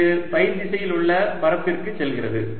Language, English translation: Tamil, this is going to the area in the direction phi